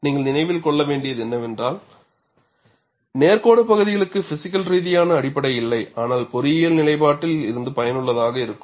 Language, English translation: Tamil, And what you will have to keep in mind is, the straight line portions have no physical basis, but are useful from an engineering standpoint